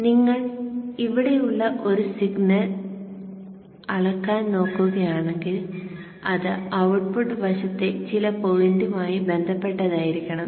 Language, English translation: Malayalam, So whenever you want to measure a signal here, it should be with respect to some point on the output side